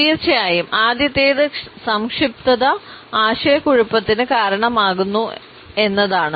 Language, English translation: Malayalam, Of course, the first one is that brevity can cause confusion